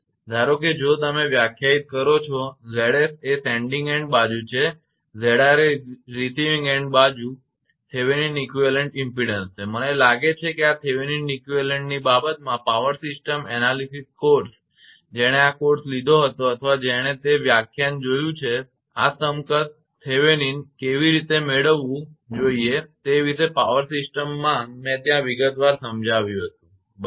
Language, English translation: Gujarati, Suppose if you define Z s is the sending end side and Z r is the receiving end side Thevenin equivalent impedance, right I think power system analysis course regarding this Thevenin equivalent those who have taken this course or seen that lecture this equivalent Thevenin how to one should get in a power system I explained there in detail right